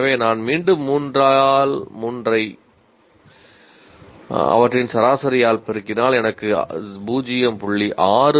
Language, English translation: Tamil, So I have, 3 by 3 into average of all of that and I get 0